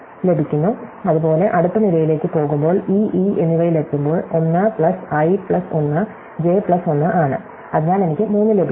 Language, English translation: Malayalam, Likewise, when I go to the next column, when I reach e and e, it is 1 plus i plus 1 j plus 1, so I get the 3